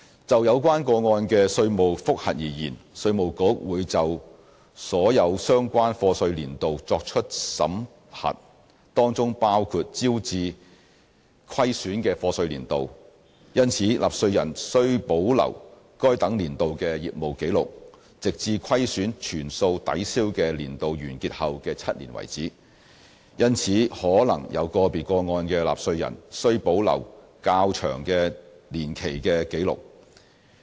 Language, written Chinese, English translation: Cantonese, 就有關個案的稅務覆核而言，稅務局會就所有相關課稅年度作出審核，當中包括招致虧損的課稅年度，因此納稅人須保留該等年度的業務紀錄，直至虧損全數抵銷的年度完結後的7年為止，因而可能有個別個案的納稅人需保留較長年期的紀錄。, Insofar as the tax audit of these cases is concerned IRD will conduct review in respect of all relevant years of assessment including those in which losses were incurred . Hence taxpayers should keep the business records of those relevant years of assessment until seven years after the end of the year in which the losses have been fully set off . Therefore there may be cases where record keeping spans a longer period of time